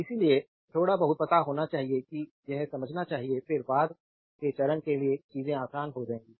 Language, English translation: Hindi, So, little bit you know you should understand this then things will be easier for your later stage